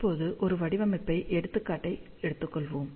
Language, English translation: Tamil, So, let us just take a design example